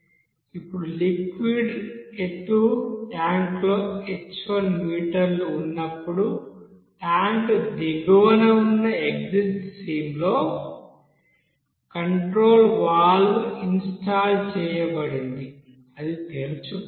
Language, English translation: Telugu, Now when the height of the liquid is h1 meter in the tank a control valve installed on the exit stream at the bottom of the tank, that opens up